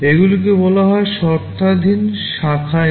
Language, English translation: Bengali, These are called conditional branch instruction